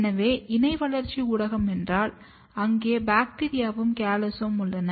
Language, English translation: Tamil, So, co cultivation means, here we have bacteria as well as the callus